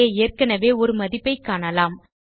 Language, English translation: Tamil, You will see a value already there